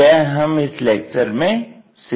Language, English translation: Hindi, That is a thing what we are going to learn it in this lecture